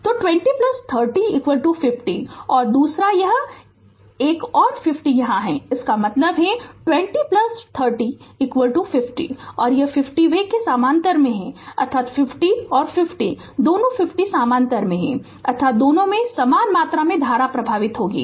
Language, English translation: Hindi, So, 20 plus 30 is equal to 50 ohm right and the another and this another 50 ohm is here; that means, this 20 plus 30 50 ohm and this 50 ohm they are in parallel; that means, 50 and 50 both 50 are in parallel; that means, equal amount of current will flow through both